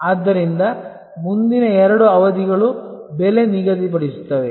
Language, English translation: Kannada, So, next two sessions will be on pricing